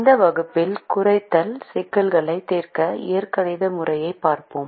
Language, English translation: Tamil, in this class we will look at the algebraic method to solve minimization problems